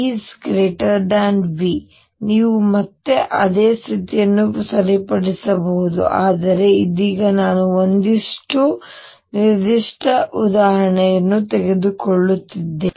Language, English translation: Kannada, If E is greater than V you can again right the same condition, but right now am just taking one particular example